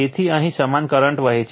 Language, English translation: Gujarati, So, same current is flowing here